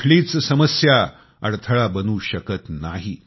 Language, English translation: Marathi, Hardships can never turn into obstacles